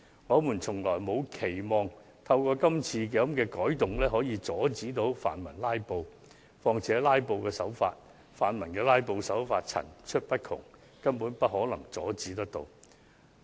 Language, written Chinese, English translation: Cantonese, 我們從沒期望可藉這次改動阻止泛民"拉布"，況且泛民的"拉布"手法層出不窮，實在難以完全遏止。, We never expect that the amendments proposed this time are meant to prevent filibustering by the pan - democrats . In fact it is really hard to curb thoroughly their filibuster schemes which may be implemented in many different ways